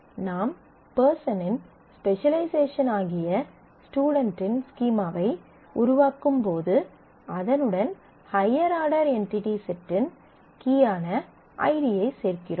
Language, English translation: Tamil, So, when you are forming the schema of person of student which is a specialization of person you include the ID which is the key of the higher level entity set person